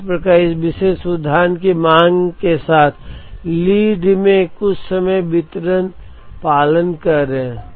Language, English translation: Hindi, So, in this particular example both demand as well as lead time are following certain distribution